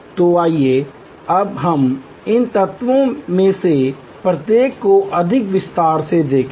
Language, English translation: Hindi, So, let us now see each one of these elements more in detail